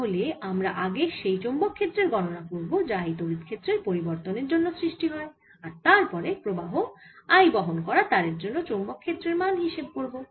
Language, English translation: Bengali, so we will first calculate the magnetic field due to this change in electric field and the second contribution to the magnetic field will be due to this wire which is carrying current i